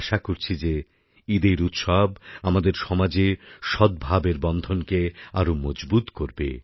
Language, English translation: Bengali, I hope that the festival of Eid will further strengthen the bonds of harmony in our society